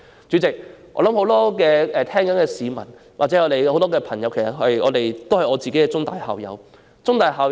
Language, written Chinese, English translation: Cantonese, 主席，我相信很多聆聽發言的市民或朋友也跟我一樣是香港中文大學的校友。, President I believe many citizens or friends now listening to our speeches like me are alumni of The Chinese University of Hong Kong CUHK